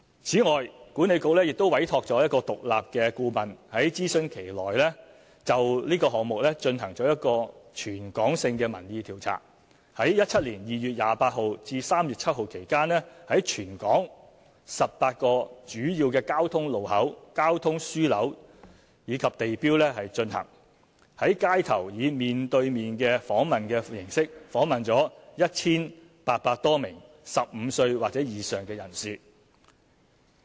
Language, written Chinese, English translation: Cantonese, 此外，管理局亦委託獨立顧問，在諮詢期內就這個項目進行一項全港性民意調查，於2017年2月28日至3月7日期間，在全港18個主要交通路口、交通樞紐及地標進行，在街頭以面對面訪問形式訪問了 1,800 多名15歲或以上人士。, Besides WKCDA commissioned an independent consultant to conduct a territory - wide public opinion poll on the HKPM project during the consultation period . Between 28 February to 7 March 2017 a public opinion poll was conducted through on - street face - to - face interviews with 1 800 - plus respondents aged 15 or above in 18 locations at major traffic junctions transport hubs and landmarks in Hong Kong